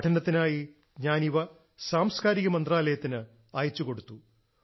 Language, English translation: Malayalam, I had sent them to the Culture Ministry for analysis